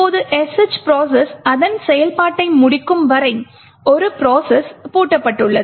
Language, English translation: Tamil, Now the one process is locked until the sh process completes its execution